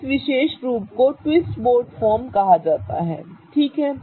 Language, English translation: Hindi, This particular form is called as a twist boat form